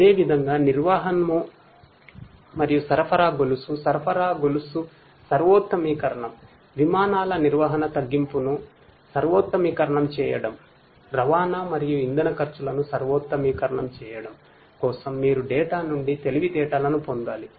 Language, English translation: Telugu, For likewise for logistics and supply chain, supply chain optimization, fleet management optimizing the reduction, optimizing the transportation and fuel costs in fleet management you need to derive intelligence out of the data